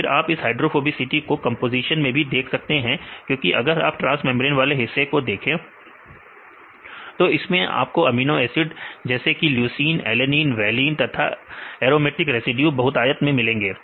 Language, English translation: Hindi, Then this hydrophobicity you can see in the composition right because if you see the transmembrane region, this regions are enriched with leucine, alanine, valine right; as well as the aromatic residues